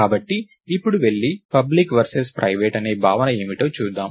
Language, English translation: Telugu, So, now lets go and look at what is this notion of public versus private